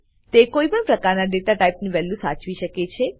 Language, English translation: Gujarati, It also holds value of any data type